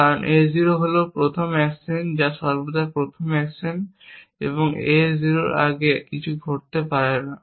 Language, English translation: Bengali, Promotion is not possible, because A 0 is the first action which always the first action an nothing can happen before A 0